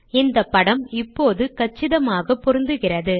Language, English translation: Tamil, The figure has now become extremely compact